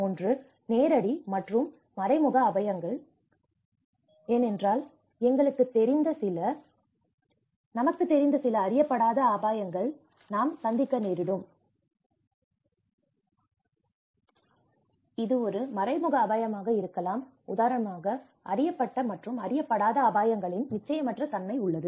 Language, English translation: Tamil, One is the direct and indirect risks because what we know is certain risk but certain in the health aspect, we may encounter some unknown risks you know, it might be an indirect risk like for instance there is uncertainty of known and unknown risks